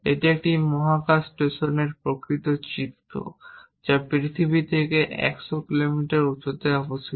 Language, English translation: Bengali, This is the actual image of a space station which is above 100 kilometres from the earth at an altitude